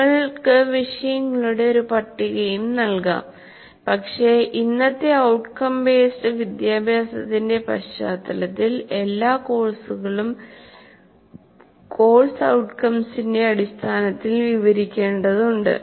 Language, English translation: Malayalam, You may also give a list of topics, but in today's context of outcome based education, every course will have to be described in terms of course outcomes